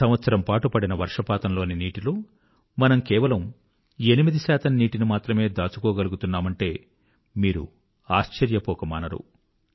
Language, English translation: Telugu, You will be surprised that only 8% of the water received from rains in the entire year is harvested in our country